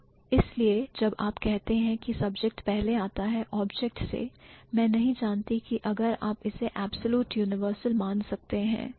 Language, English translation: Hindi, So, that is why when you say the subject precedes subjects, I am not sure if you can really consider it as an absolute universal